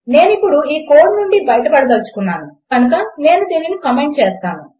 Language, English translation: Telugu, Now I want to get rid of this code so Ill comment this out